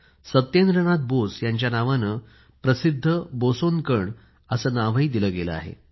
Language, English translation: Marathi, The famous particle BOSON has been named after Satyendranath Bose